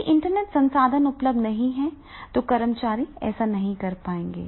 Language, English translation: Hindi, If intranet resource is not available, the employees will not be able to do it